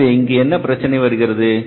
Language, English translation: Tamil, So what is the problem here